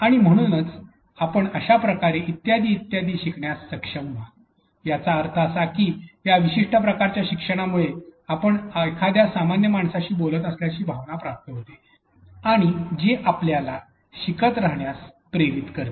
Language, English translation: Marathi, And therefore, you will be able to learn in so and so and so, which implies them for that this particular type of learning gives you a feel like you are talking to a normal human being and this motivates you to keep you to keep learning